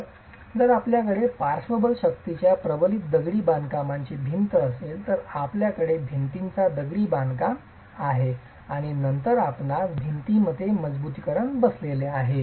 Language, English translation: Marathi, So, if you have a reinforced masonry wall subjected to lateral forces, you have the masonry part of the wall and then you have the reinforcement sitting within the wall